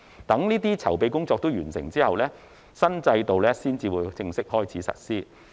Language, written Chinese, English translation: Cantonese, 待該等籌備工作均完成後，新制度方會正式開始實施。, The new regime will formally commence when all such preparatory work is completed